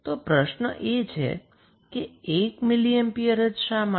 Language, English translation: Gujarati, So, we can connect 1 mili ampere